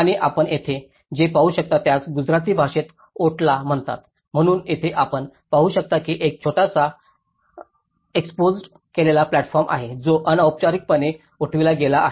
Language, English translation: Marathi, And what you can see here this is called otla in Gujarati language, so, here you can see that there is a small just exposed platform which is informally has been raised